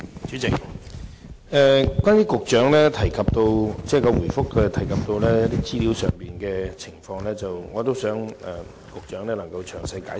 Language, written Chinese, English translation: Cantonese, 主席，就主體答覆提到的一些資料和情況，我希望局長作詳細解釋。, President I hope the Secretary can explain in detail some of the information and circumstances mentioned in the main reply